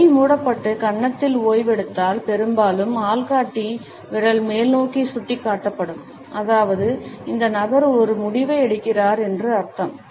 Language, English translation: Tamil, If the hand is closed and is resting on the cheek, often with the index finger pointing upwards; that means, that this person is making a decision